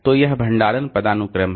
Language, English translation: Hindi, So, this is the storage hierarchy